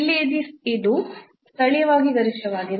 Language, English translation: Kannada, So, here this is a maximum locally